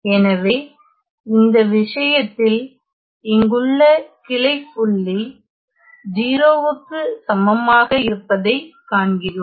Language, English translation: Tamil, So, in this case we see that the branch point here is at S equal to 0